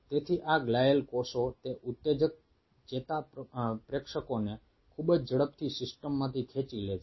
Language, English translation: Gujarati, so these glial cells pulls away those excitatory neurotransmitters from the system very fast